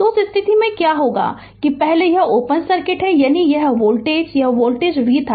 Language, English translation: Hindi, So, in that case, what will happen that first as it this is open circuit that means this voltage this voltage was v right